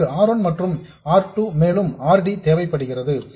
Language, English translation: Tamil, We do need R1 and R2 and also RD